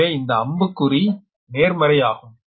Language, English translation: Tamil, but if arrow is there, means it is a positive